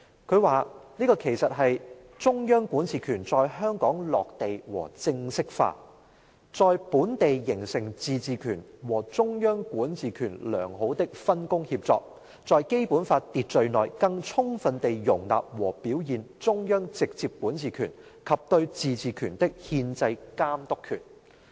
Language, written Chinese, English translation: Cantonese, 他說："這其實是中央管治權在香港落地和正式化，在本地形成自治權和中央管治權良好的分工協作，在《基本法》秩序內更充分地容納和表現中央直接管治權及對自治權的憲制監督權。, He says This actually is the landing and formalization of the central authorities jurisdiction over Hong Kong and good collaboration between the autonomy and the central authorities jurisdiction is taking shape locally . Within the order to the Basic Law this can fully incorporate and demonstrate the central authorities direct jurisdiction and constitutional superintendency over autonomy